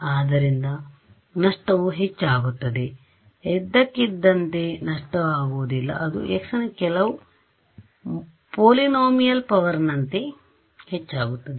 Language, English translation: Kannada, So, the loss increases as, it does not become suddenly lossy it increases as some polynomial power of x